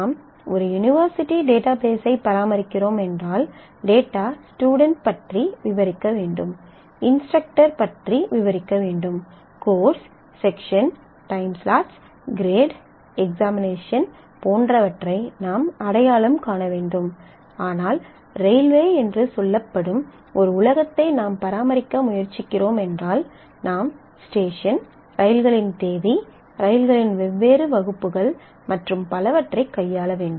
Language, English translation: Tamil, So, whether I am doing, if I am doing an university database naturally we will need to identify that what are the data needs the students need to be described, the instructors need to be described, the courses sections time slots grades examinations etc; but if I am trying to deal with an world which is say railway reservation, then I will need to deal with stations trains date the different classes of coach that the train has and so on